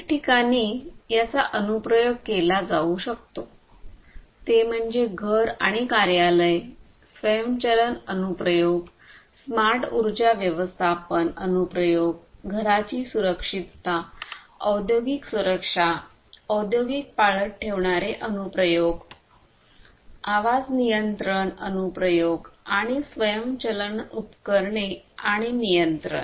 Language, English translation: Marathi, Applications where it can be used are home and office automation applications, smart energy management applications, smart security, home security, industrial security, industrial surveillance applications, voice control enabled applications, appliance automation and control, and so on